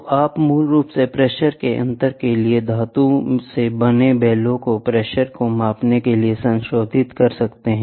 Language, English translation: Hindi, So, you can modify the metallic bellows for differential pressure basically, pressure has to be measured